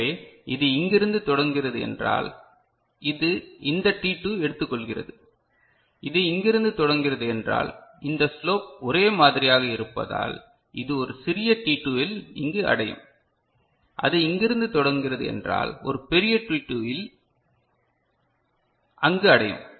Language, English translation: Tamil, So, if it is starting from here, it is taking this t2, if it is starting from here because this slope is same it will reach over here at a smaller t2, it starts from here it will reach there at a larger t2